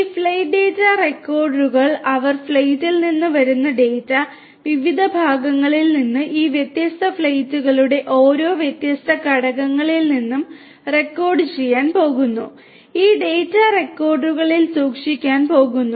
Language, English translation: Malayalam, These flight data recorders they are going to record the data that are coming from the flight, from the different parts, different components of each of these different flights and are going to be stored in these data recorders